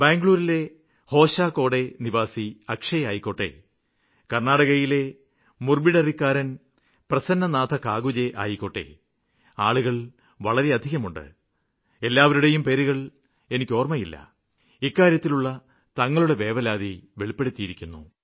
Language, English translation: Malayalam, Be it Hoshakote Akshay from Bengaluru, Ameya Joshi from Pune or Prasanna Kakunje from Mudbidri, Karnataka all these all people have written to me… there are many other names which I am not being able to mention and have raised their concerns